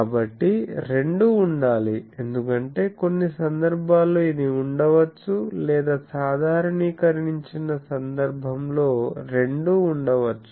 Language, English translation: Telugu, So, both should be present because in some cases this may be present in some cases, this may be present or in a generalized case both can be present